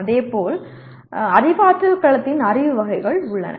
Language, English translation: Tamil, And similarly Cognitive Domain has Knowledge Categories